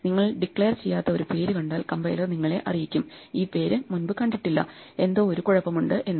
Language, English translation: Malayalam, Then if you use a name which you have not declared then the compiler will tell you that this name has not been seen before and therefore something is wrong